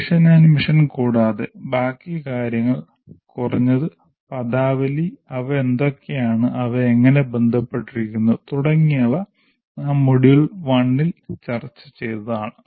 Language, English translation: Malayalam, And all this other than mission mission, the rest of the things we have addressed, at least in the terminology, what they are, how they are related, all those issues we have already addressed in module one